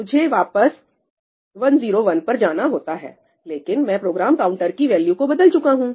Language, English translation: Hindi, I am supposed to go back to 101, but I have replaced the value of the Program Counter, right